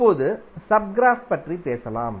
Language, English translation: Tamil, Now let us talk about the sub graph